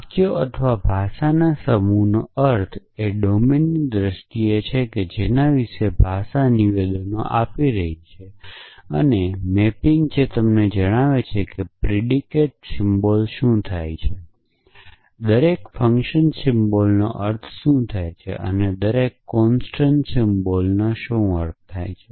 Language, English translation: Gujarati, So, an interpretation of a set of sentences or a language is in terms of the domain about which, the language is making statements and a mapping which tells you what does is predicate symbol mean, what does each function symbol mean and what does each constant symbol mean essentially